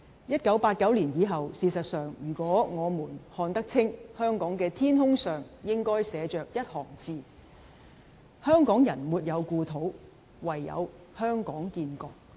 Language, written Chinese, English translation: Cantonese, 1989年以後，事實上，如果我們看得清，香港的天空上應該寫着一行字'香港人沒有故土，唯有香港建國'。, In fact after 1989 if we can see it clearly a line should be written on Hong Kongs sky Hong Kong people have no homeland formation of a Hong Kong nation is the only way